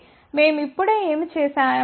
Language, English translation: Telugu, So, what we have just done